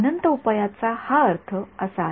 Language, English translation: Marathi, That is what infinite solutions means